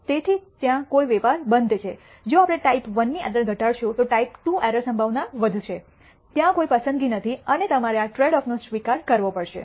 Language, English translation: Gujarati, So, that there is a trade off if we decrease type I error probability then type II error probability will increase there is no choice and you have to accept this trade off